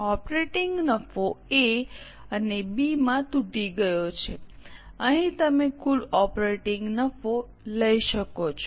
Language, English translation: Gujarati, Operating profit broken into A and B, here you can take the total operating profit